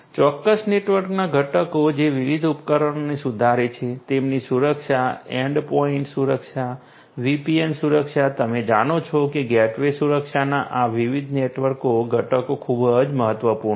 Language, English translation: Gujarati, Components in a particular network which improves the different devices, their security endpoint security, VPN security, you know the gateway security all of these different network components and their security are very important